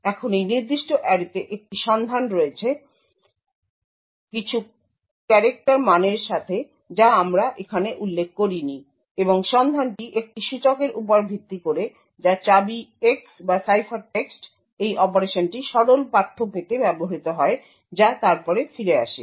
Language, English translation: Bengali, Now there is a lookup on this particular array with containing some character values which we have not specified over here and the lookup is based on an index which is key X or ciphertext, this operation is used to obtain the plaintext which is then returned